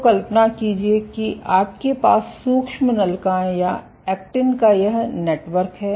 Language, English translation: Hindi, So, imagine you have this network of microtubules or actin